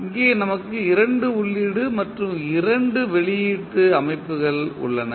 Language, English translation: Tamil, Here we have 2 input and 2 output system